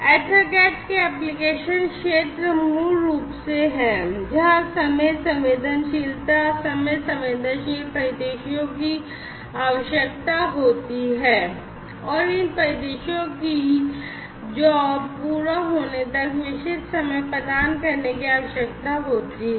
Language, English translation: Hindi, And, the application areas of for use of EtherCAT are basically systems, where there is a requirement of time sensitivity, where there are time sensitive scenarios, and basically these scenarios will have to cater to specific times by when the jobs will have to be completed, or certain process will have to be completed